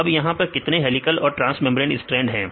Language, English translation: Hindi, Now how many helical and transmembrane strands